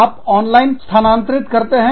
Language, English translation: Hindi, You transfer it online